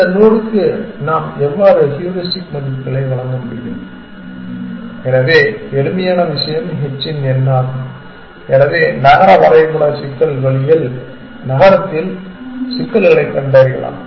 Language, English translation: Tamil, How can we give heuristic values to this node essentially, so the simplest thing is h of n, so city in a city map problem route finding problems